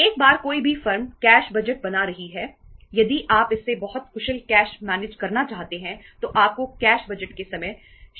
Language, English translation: Hindi, Once any firm is making the cash budget, say the time horizon is, if you want it to very very efficient cash manager then you have to reduce the time horizon of the cash budget